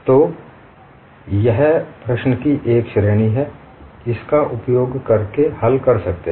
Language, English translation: Hindi, So, this is one category of problem, you can solve using this